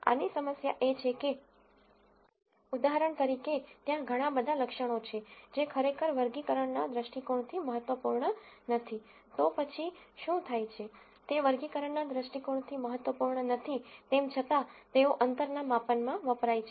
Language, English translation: Gujarati, The problem with this is that, if for example, there are a whole lot of attributes which actually are not at all important from a classification viewpoint, then what happens is, though they are not important from a classification viewpoint, they contribute in the distance measure